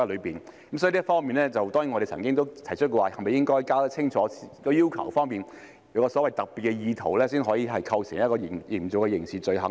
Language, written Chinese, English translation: Cantonese, 所以，就這方面，我們當然提出了是否應該弄清楚相關的要求，必須有所謂的特別意圖，才會構成刑事罪行呢？, Therefore in this regard we have certainly raised the question whether it is necessary to make clear the relevant requirements such that it would constitute a criminal offence only if there is the so - called specific intent